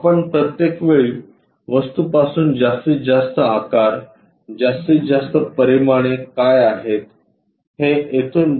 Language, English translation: Marathi, All the time from the object we are trying to visualize what is the maximum size, maximum dimensions from there